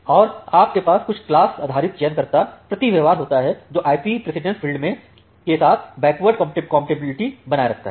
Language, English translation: Hindi, And you can have certain class based selector per hop behaviour which maintains backward compatibility with the IP precedence field